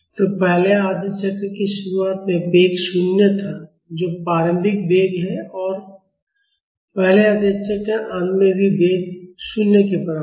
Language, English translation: Hindi, So, the velocity was 0 at the starting of the first half cycle, that is the initial velocity and at the end of the first half cycle also the velocity is equal to 0